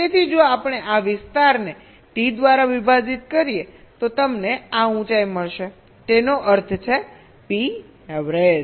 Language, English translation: Gujarati, so if we divide this area by capital t, you will be getting this height